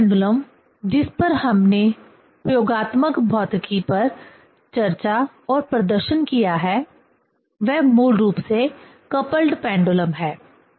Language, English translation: Hindi, Next pendulum which we have discussed and demonstrated in experimental physics one, that is basically coupled pendulum